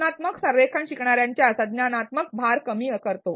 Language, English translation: Marathi, Constructive alignment decreases the cognitive load of the learners